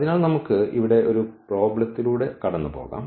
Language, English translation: Malayalam, So, let us go through the problem here